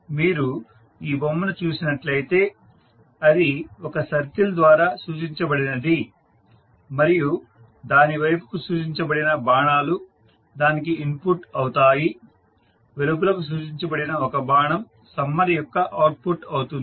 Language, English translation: Telugu, If you see this figure it is represented by a circle and number of arrows directed towards it which are nothing but the input for the summer and one single arrow which is nothing but the output of the summer